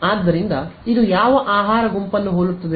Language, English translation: Kannada, So, what food group does it resemble